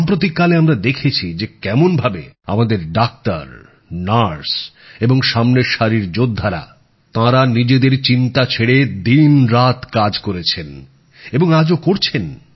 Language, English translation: Bengali, We've seen in the days gone by how our doctors, nurses and frontline warriors have toiled day and night without bothering about themselves, and continue to do so